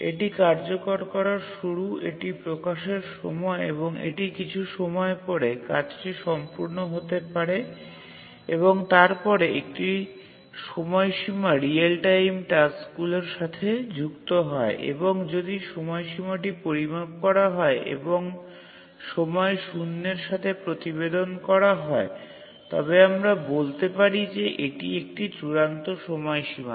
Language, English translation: Bengali, So this is the start of execution, this is the release time, and this is the start of execution and it may complete after some time and then a deadline is associated with real time tasks and if the deadline is measured and reported with respect to time zero we say that it's an absolute deadline